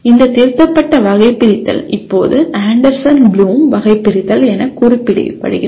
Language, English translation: Tamil, And this revised taxonomy is now referred to as Anderson Bloom Taxonomy